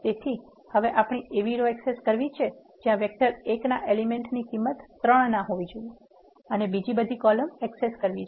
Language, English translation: Gujarati, So, what you are saying here is access those rows where the element in the vector 1 is not equal to 3 and we need to access all the columns